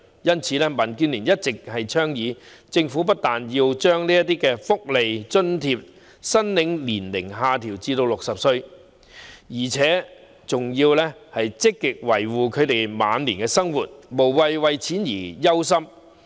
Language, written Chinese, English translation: Cantonese, 因此，民建聯一直倡議，政府不但要把這些福利津貼申領年齡下調至60歲，而且還要積極維護他們晚年的生活，讓他們無需為錢而憂心。, Therefore DAB has been advocating that the Government has to not only lower the eligibility age for such welfare allowances to 60 but also proactively assure their livelihood in later years so that they need not worry about money